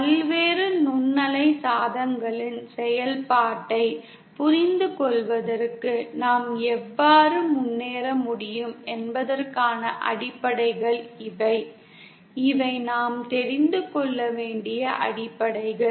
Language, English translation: Tamil, These are kind of the fundamentals of how we can go ahead to understand the operation of various microwave devices these are the fundamentals that we have to know